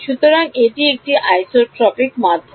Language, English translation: Bengali, So, it is an isotropic medium